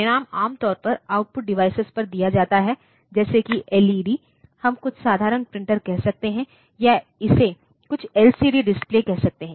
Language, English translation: Hindi, So, that result is given in the normally we have got output device like say LEDs, we can have say some simple printer or it can be say a some LCD display